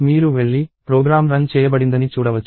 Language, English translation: Telugu, You can go and see that, the program is executed